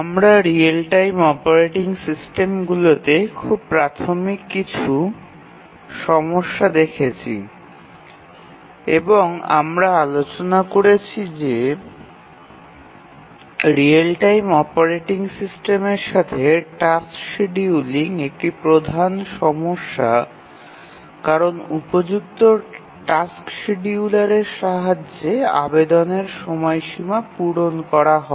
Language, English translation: Bengali, So far we had looked at some very basic issues in real time operating systems and we had seen that task scheduling is one of the major issues with real time operating systems and we had seen that task scheduling is one of the major issues with real time operating systems